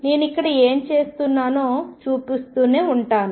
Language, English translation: Telugu, I will keep showing what I am doing here